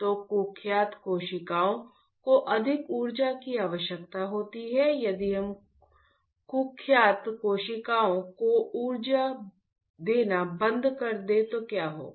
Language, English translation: Hindi, So, notorious cells requires more energy, if we stop energy to the notorious cells what will happen